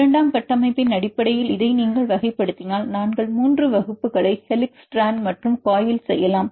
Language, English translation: Tamil, If you classify this based on secondary structure we can make 3 classes helix, strand and coil